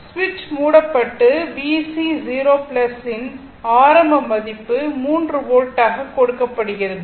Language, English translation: Tamil, So, switch is closed and initial value of V C 0 plus is given 3 volt it is given